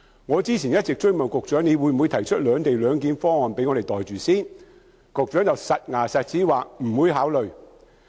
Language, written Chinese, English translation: Cantonese, 我之前不斷問局長會否提出"兩地兩檢"方案讓我們"袋住先"，但局長斷言不會考慮。, I have kept asking the Secretary earlier whether there would be a separate - location proposal for us to pocket it first but the Secretary asserted that he would not consider that